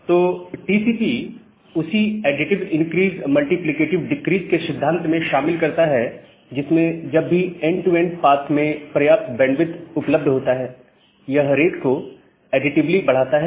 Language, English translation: Hindi, So, TCP incorporates the same principle of additive increase multiplicative decrease, where it increases the rate additively, whenever there is sufficient amount of bandwidth available in the end to end path